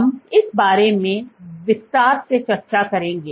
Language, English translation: Hindi, We will discuss this in greater detail later in the course